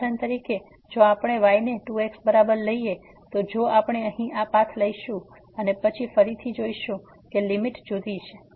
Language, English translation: Gujarati, For example, if we take is equal to 2 if we take this path here and then again we will see that the limit is different